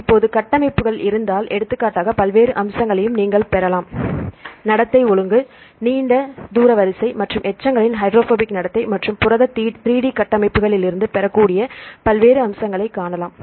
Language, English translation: Tamil, Now, if you have the structures then also you can derive various features like for example, you can see the conduct order, long range order and the hydrophobic behavior of the residues and various aspects you can obtain from the protein 3D structures